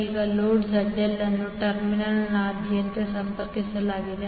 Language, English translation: Kannada, Now, the load ZL is connected across the terminal